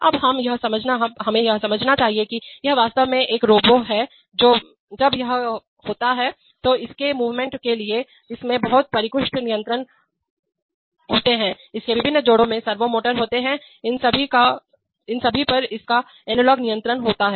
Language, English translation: Hindi, Now we must understand that this is actually a robo, when it is, for its movement, it has very sophisticated controls, it has servo motors in his various joints, it has analog controls on all of them